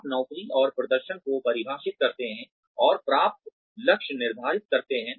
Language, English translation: Hindi, You define the job and performance and set achievable goals